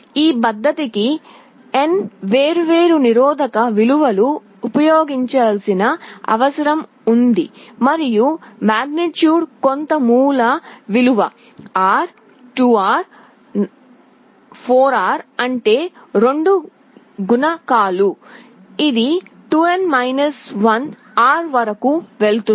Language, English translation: Telugu, This method requires n different resistance values to be used and the magnitudes will be some base value R, 2R, 4R; that means multiples of 2; this will go up to 2n 1 R